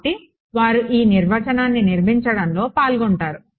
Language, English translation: Telugu, So, they get involved in constructing this definition ok